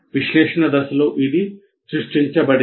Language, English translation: Telugu, We have created this in the analysis phase